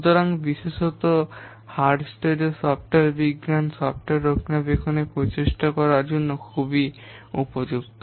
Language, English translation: Bengali, So especially Hullstreet software science is very much suitable for estimating software maintenance efforts